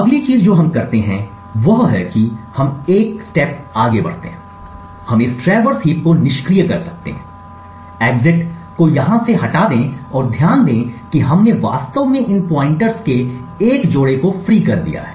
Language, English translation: Hindi, The next thing we do is we go one step further, we can disable this traverse heap remove the exit from here and notice that we have actually freed a couple of these pointers